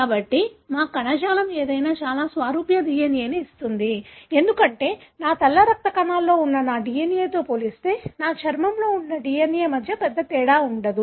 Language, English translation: Telugu, So, any of our tissue will give very similar DNA, because there is no big difference between the DNA that is present in my skin as compared to my DNA that is present in my white blood cells